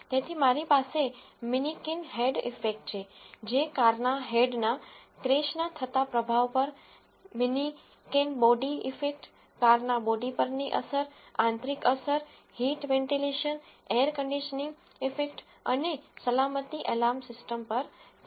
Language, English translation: Gujarati, So, I have the manikin head impact which is at what impact the head of the car crashes, the manikin body impact, the impact on the body of the car, the interior impact, the heat ventilation air conditioning impact and the safety alarm system